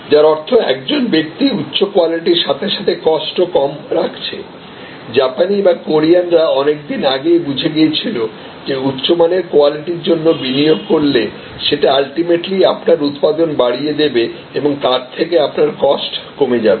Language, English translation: Bengali, Which means, a person is giving high quality as well as low cost, because the Japanese or the Koreans they found long time back that investing in high quality improves your yield ultimately brings down your cost